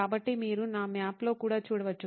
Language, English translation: Telugu, And so, you can see that in my map as well